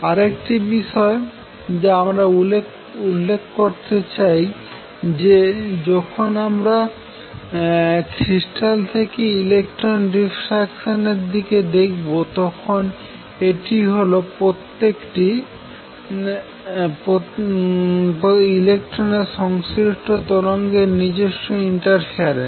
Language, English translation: Bengali, Other thing which I wish to point out is that when we looked at electron diffraction from a crystal it is the wave associated with each electron that interferes with itself